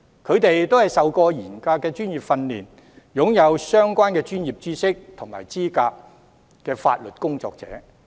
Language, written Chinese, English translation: Cantonese, 他們都接受過嚴格的專業訓練，是擁有相關專業知識和資格的法律工作者。, These legal practitioners have undergone vigorous professional training and possess relevant professional know - how and qualifications